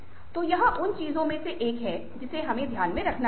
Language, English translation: Hindi, so this is another issue that needs to be kept in mind